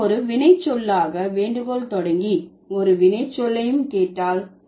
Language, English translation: Tamil, If we begin with solicit as a verb and solicited also a verb